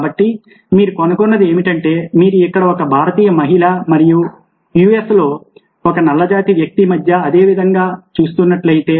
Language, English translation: Telugu, so what you find is that, if you are looking at same way between a indian woman here and black man in the us